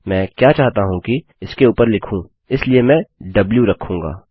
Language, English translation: Hindi, What I want to do is overwrite, so Ill put w